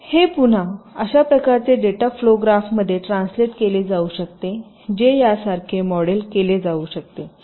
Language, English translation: Marathi, so again, this can be translated into ah, some kind of a data flow graph which can be model like this